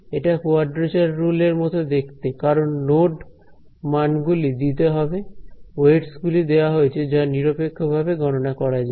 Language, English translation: Bengali, It looks like a quadrature rule, why because the node values are to be given; the weights are given which are independently calculated